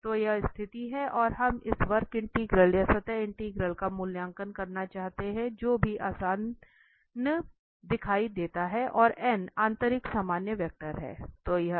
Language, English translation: Hindi, So, this is the situation and we want to evaluate this curve integral or the surface integral whichever appears easier and n is the inner normal vector